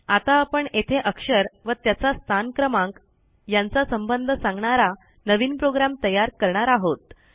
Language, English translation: Marathi, Now Im going to create a new program to find out the position of a letter in relation to its number